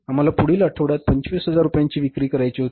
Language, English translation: Marathi, So, our sales expected about 25,000 rupees